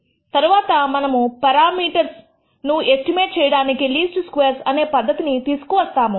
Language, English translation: Telugu, Later on, we will set up what is called the least squares method of estimating parameters